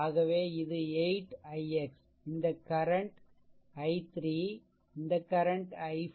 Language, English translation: Tamil, So, it is 8 i x and this current is i 3 and this current is i 4